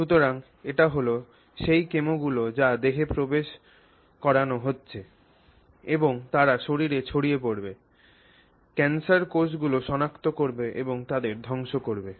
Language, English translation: Bengali, So, that is the, those are the chemicals that are being pushed into the body and they are going to spread through the body, try and locate cancer cells and destroy them